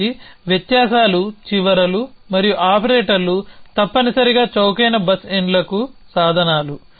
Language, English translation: Telugu, So differences are the ends and operators are the means to a cheap bus ends essentially